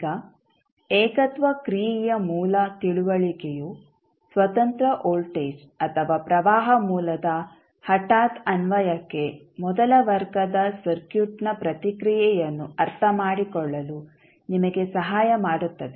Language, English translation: Kannada, Now, the basic understanding of singularity function will help you to understand the response of first order circuit to a sudden application of independent voltage or current source